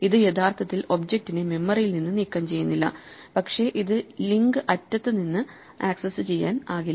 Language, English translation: Malayalam, It actually does not physically remove that object from memory, but it just makes it inaccessible from the link end